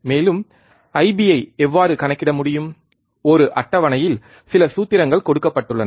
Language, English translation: Tamil, And how can calculate the I B, there were some formulas given in a table